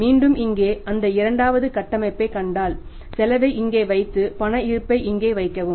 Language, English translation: Tamil, If you see the second structure here put the cost here and put the cash balance here